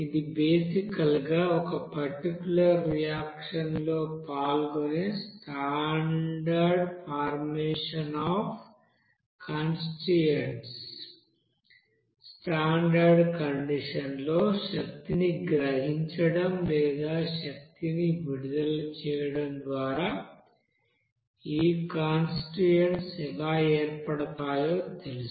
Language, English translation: Telugu, This is basically the formation of that constituents which are taking part in a particular reaction and at the standard condition how these constituents are formed by you know absorbing energy or releasing energy